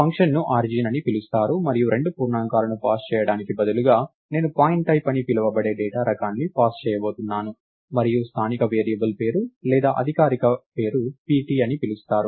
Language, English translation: Telugu, So, the function is called IsOrigin and instead of passing two integers, I am going to pass the data type called pointType and the local variable name or the formal name is called pt